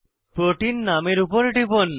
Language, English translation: Bengali, Click on the name of the protein